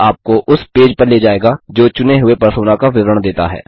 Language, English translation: Hindi, This will take you to a page which gives details of the chosen Persona